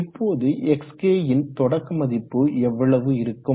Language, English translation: Tamil, Now what should be the starting value of xk initial